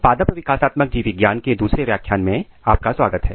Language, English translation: Hindi, Welcome to the second lecture of Plant Developmental Biology